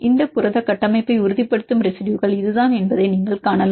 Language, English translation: Tamil, You can see that this is the kind of residues which are stabilizing this protein structure